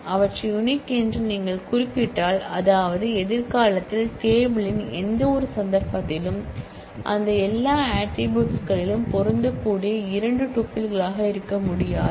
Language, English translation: Tamil, If you specify them to be unique; that means, that in any instance of the table in future that cannot be two tuples which match in all of those attribute